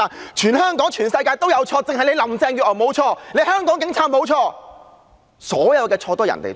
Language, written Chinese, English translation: Cantonese, 現在，好像是全香港有錯，只有林鄭月娥無錯，香港警察無錯，所有的錯都是別人的錯。, Now it seems that the entire Hong Kong is at fault but only Carrie LAM is not and the Hong Kong Police are not